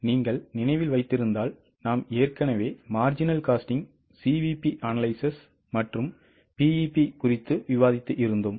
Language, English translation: Tamil, If you remember we have already discussed techniques like marginal costing, CVP analysis, BEP, most of them were useful for decision making